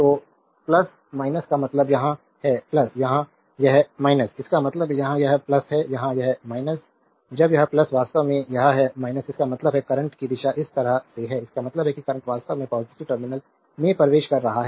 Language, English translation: Hindi, So, plus minus means here it is plus, here it is minus; that means, here it is plus, here it is minus, when this is plus actually this is minus; that means, the direction of the current is this way so; that means, current is actually entering into the positive terminal